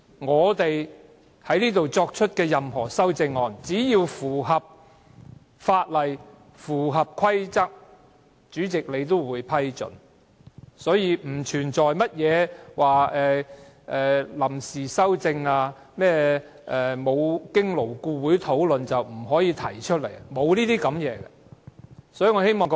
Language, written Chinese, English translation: Cantonese, 我們提出的任何修正案，只要符合法例和規則，主席也會批准，所以不存在臨時提出修正案，或沒經勞顧會討論不可以提出修正案等問題。, Any amendments proposed by us will be approved by the President if they conform with the law and rules hence there should be no such concerns as proposing amendments at the eleventh - hour or disallowing amendments not having been discussed by LAB to be proposed